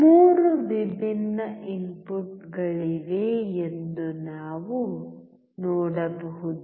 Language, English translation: Kannada, We can see there are 3 different inputs